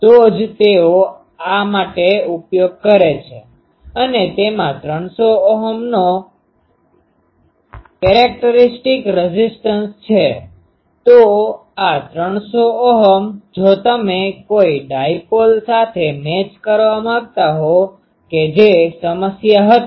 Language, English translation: Gujarati, That is why they use for this and it has a characteristic impedance of 300 Ohm; so, this 300 Ohm, if you want to match with a dipole that was problem